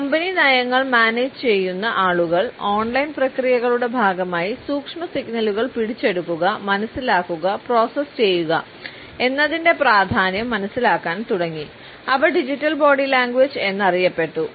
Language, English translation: Malayalam, The people, who manage company policies, started to realise the significance of and I quote “capturing, understanding and processing the subtle signals” that are part of the online processes and they came to be known as digital body language